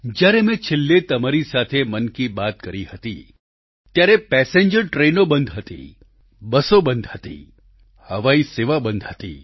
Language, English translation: Gujarati, The last time I spoke to you through 'Mann Ki Baat' , passenger train services, busses and flights had come to a standstill